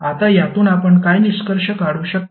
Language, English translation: Marathi, Now from this what you can conclude